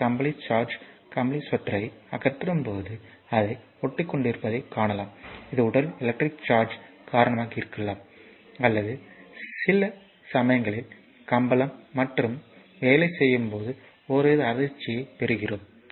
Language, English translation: Tamil, Other electrical charge I mean if you I mean when remove our your woolen sweater, you know you can see that it is your sticking and our body this is due to the electric charge or sometimes so, we get some kind of shock when you are working you know you receive a shock when you are working only carpet